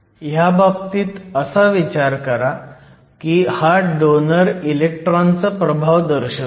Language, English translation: Marathi, So, it represents a size of the influence of the donor electron